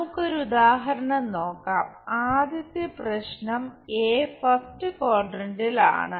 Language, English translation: Malayalam, Let us look at an example the first problem is a in first quadrant